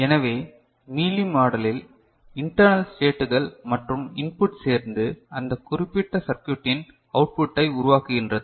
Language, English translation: Tamil, So, in Mealy model the internal states as well as input together act and generate the output of the particular circuit